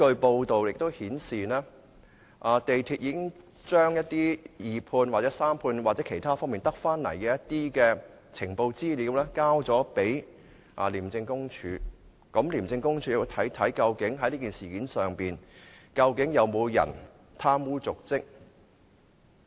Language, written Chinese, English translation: Cantonese, 報道亦顯示，港鐵公司已經把一些從二判、三判或其他方面得到的資料交給廉政公署，廉署會研究在這事件中究竟有沒有人貪污瀆職。, According to the reports MTRCL has submitted the information obtained from the subcontractor the sub - subcontractor and other sources to the Independent Commission Against Corruption which will investigate whether anyone has committed an act of corruption or dereliction of duty in this incident